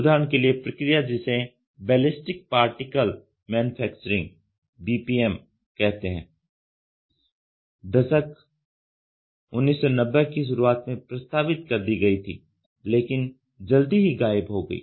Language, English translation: Hindi, As an example the process called ballistic particle manufacturing BPM was introduced already in the early 1990s, but vanished soon after